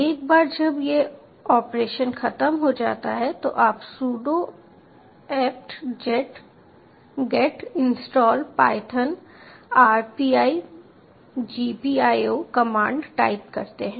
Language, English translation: Hindi, once this operation is over, you take the commands sudo apt get install python dash rpi dot, gpio